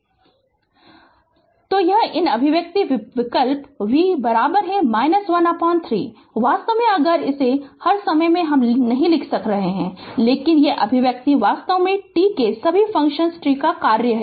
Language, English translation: Hindi, So, it is these expression you substitute v is equal to minus 1 upon 3, actually if you actually all the time I am not writing , but these expression actually it is all function of t all function of t right